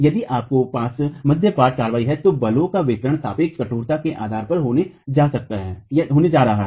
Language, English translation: Hindi, If you have diaphragm action then the distribution of forces is going to be based on the relative stiffnesses